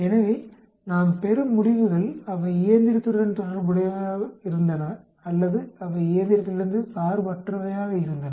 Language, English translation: Tamil, So, the results we get are they some of co related to the machine or they were independent of machine